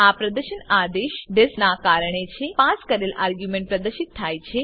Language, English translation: Gujarati, The display is due to the command disp the passed argument is displayed